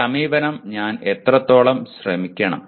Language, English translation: Malayalam, How long should I try this approach